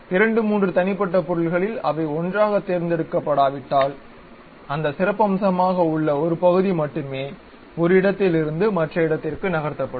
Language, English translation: Tamil, If two three individual entities, if they are not selected together, only one of that highlighted portion will be moved from one location to other location